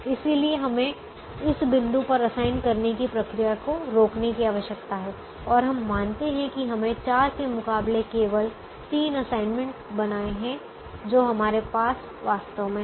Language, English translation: Hindi, so we need to stop the assigning procedure at this point and we observe that we have made only three assignments as against four that we wish actually have